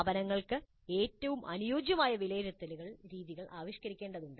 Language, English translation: Malayalam, Institutes need to evolve assessment methods best suited for them